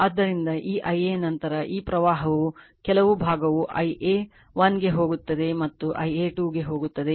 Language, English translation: Kannada, So, this I a then , this current is, , some part is going to I a 1 and going to I a 2